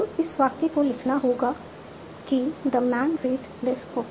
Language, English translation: Hindi, So I want to write this sentence, the man read this book